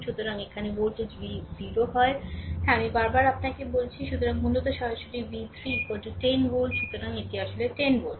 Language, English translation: Bengali, So, here voltage v 0 is 0, yes, again and again I told you; so, basically directly actually v 3 is equal to 10 volt, right; so, this actually 10 volt right